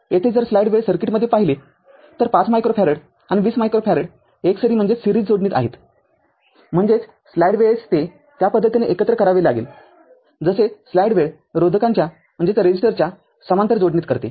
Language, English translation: Marathi, Here if you look in the circuit that 5 micro farad and 20 micro farad are in series ; that means, you have to combine it like the way you do it when resistors are in parallel